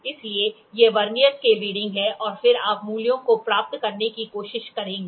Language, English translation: Hindi, So, these are the Vernier scale readings and then you will try to get the values